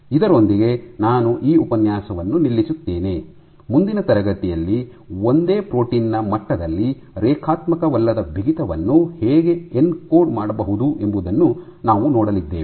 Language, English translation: Kannada, With that I stop this lecture in the next class we will see how non linear stiffening can also be encoded at the level of a single protein